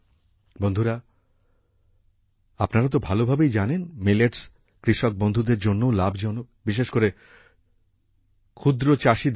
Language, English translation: Bengali, And friends, you know very well, millets are also beneficial for the farmers and especially the small farmers